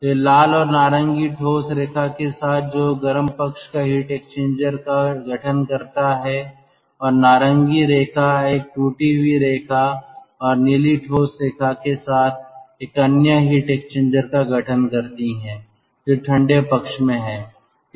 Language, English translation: Hindi, so this red one and ah, the orange one with solid line, that constitute the hot end heat exchanger, and the orange line with a broken line and the blue solid line that constitute another heat exchanger that is at the cold end